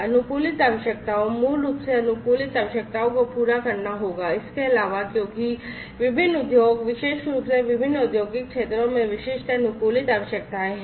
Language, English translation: Hindi, customised requirements, basically customized requirements will have to be fulfilled, in addition, to the because different industry, the particularly different industrial sectors have specific in, you know, customized requirements